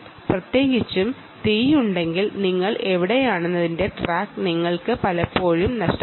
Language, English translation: Malayalam, particularly if there is fire, you often lose track of where you are right